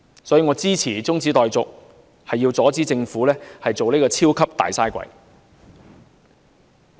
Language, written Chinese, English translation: Cantonese, 所以，我支持中止待續議案，是要阻止政府成為"超級大嘥鬼"。, Hence I support the adjournment motion in order to prevent the Government from becoming a mega - waster